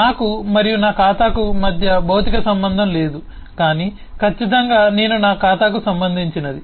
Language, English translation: Telugu, there is no physical link between me and my account, but certainly i am related to my account, my account related to me